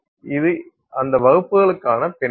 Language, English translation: Tamil, This is our background for those classes